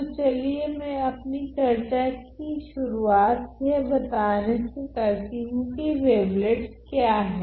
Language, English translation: Hindi, So, let me just start our discussion by just briefly mentioning what are these wavelets